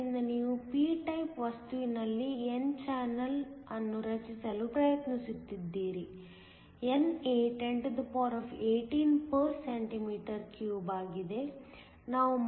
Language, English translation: Kannada, So, you are trying to create an n channel in a p type material; NA is 1018 cm 3